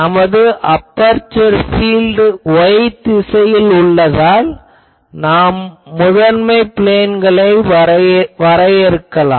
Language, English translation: Tamil, So, since our actual aperture field is y directed; so, we can define the principal planes